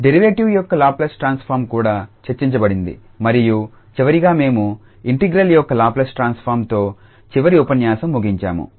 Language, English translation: Telugu, Also the Laplace transform of derivatives was discussed and finally we ended up with in the last lecture the Laplace transform of integral